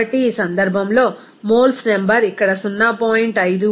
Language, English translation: Telugu, So, in this case, the number of moles will be is equal to here 0